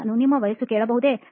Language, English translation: Kannada, Can I ask your age